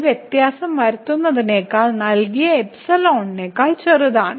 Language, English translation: Malayalam, To make this difference is smaller than the given epsilon